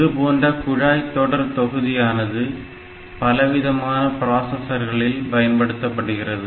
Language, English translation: Tamil, So, this pipelining is used in different processors